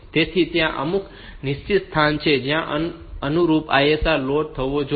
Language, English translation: Gujarati, So, there are some fixed location where the corresponding ISR should be loaded